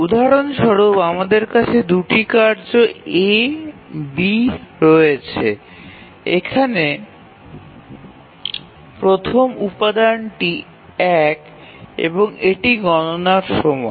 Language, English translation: Bengali, The first example, we have two tasks, A, B, and the first element here is one, is the computation time